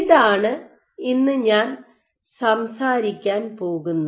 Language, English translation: Malayalam, So, this is what I am going to talk about today